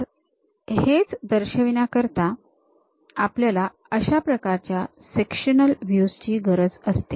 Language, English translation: Marathi, To represent that, we require this kind of sectional views